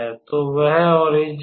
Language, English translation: Hindi, So, that is the origin